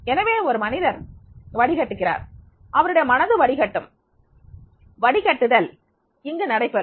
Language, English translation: Tamil, So, the person will filter, and mind will filter, and a filter will be applicable